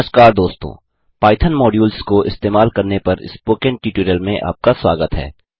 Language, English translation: Hindi, Hello Friends and Welcome to the spoken tutorial on Using Python Modules